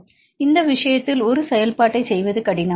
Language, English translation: Tamil, So, in this case, it is difficult to perform a function